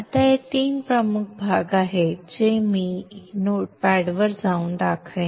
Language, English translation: Marathi, Now it has three major parts which I will show by going to the not pad